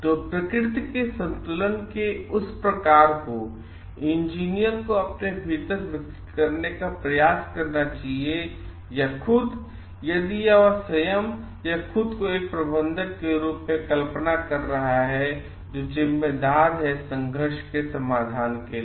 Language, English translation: Hindi, So, that type of balancing nature attitude the engineer must try to develop within himself or herself, if he or she is visualizing himself or herself as a manager, who is responsible for conflict resolution